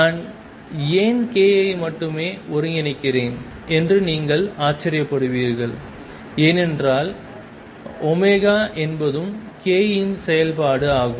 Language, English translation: Tamil, You may wonder why I am integrating only over k, it is because omega is also a function of k